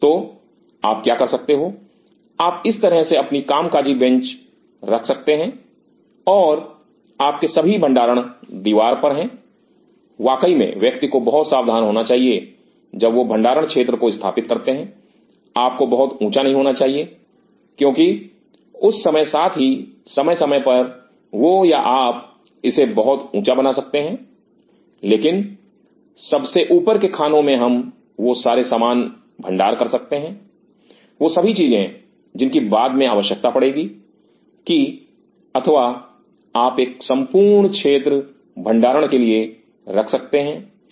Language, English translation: Hindi, So, what you can do you could have your working bench like this and you have all the storage on the walls of course, on has to be very careful when setup the storage area you should not be very high also because at times that or you could have make it high, but on the top shelves we can store all those stuff which will be needing later ok or you can have a complete storage area right